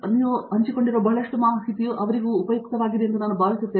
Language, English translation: Kannada, I think a lot of information you have shared will be very useful for them